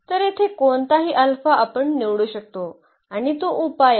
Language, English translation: Marathi, So, any alpha we can we can choose of course, here and that is the solution